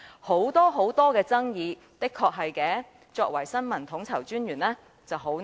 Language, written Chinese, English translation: Cantonese, 這種種爭議，的確令身為新聞統籌專員者十分為難。, All these controversies have indeed made things very difficult for the Information Coordinator